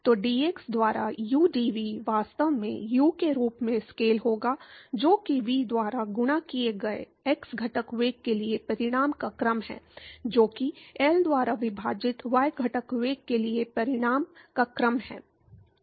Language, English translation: Hindi, So, udv by dx would actually scale as U that is the order of magnitude for the x component velocity multiplied by V, which is the order of magnitude for the y component velocity divided by L